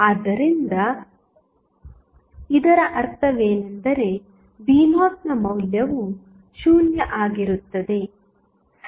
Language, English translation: Kannada, So, what does it mean the value of V naught would be 0, right